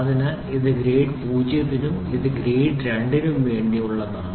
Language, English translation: Malayalam, So, this is for grade 0 and this is for grade 2